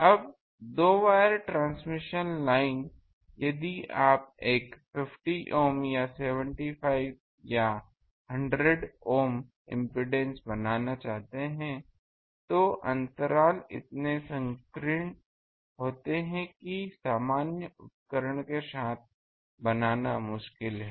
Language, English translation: Hindi, Now, two wire transmission line; if you want to make a 50 Ohm or 75 Ohm or even 100 Ohm impedance, then the gaps are show narrow that it is difficult to fabricate with normal day thing